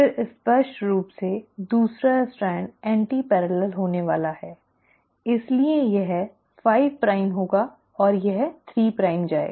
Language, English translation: Hindi, Then obviously the second strand is going to be antiparallel, so this will be 5 prime and it will go 3 prime